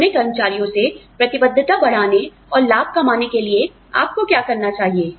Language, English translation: Hindi, What should you do, to enhance, commitment from your employees, and to also make profit